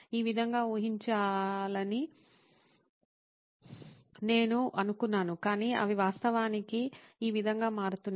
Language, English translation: Telugu, This is how I thought they should be but they are actually turning out to be this way